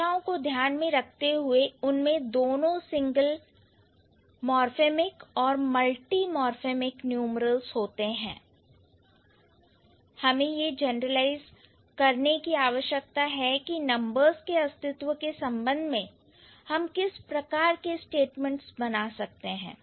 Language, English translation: Hindi, So, considering languages have both single morphemic and multamorphomic numerals, we need to find out or we need to generalize what sort of solution or what set sort of statements we can make as far as existence of numerals are concerned